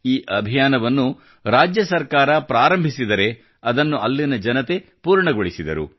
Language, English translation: Kannada, This campaign was started by the state government; it was completed by the people there